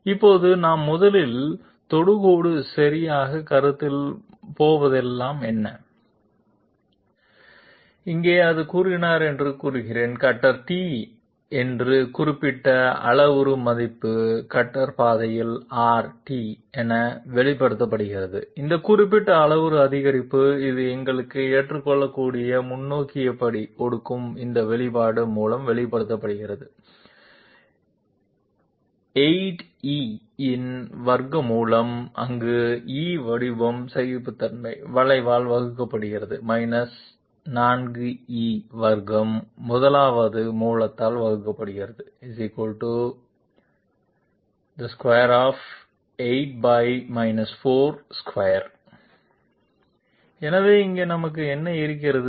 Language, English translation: Tamil, Now, whenever we are considering the tangent okay 1st of all let me state that here it was stated that Delta t that particular parametric increment along the cutter path expressed as R that particular parametric increment which will give us acceptable forward step is expressed by this expression, 8 e, where e is the formed tolerance divided by the curvature 4 e square divided by the 1st fundamental of the surface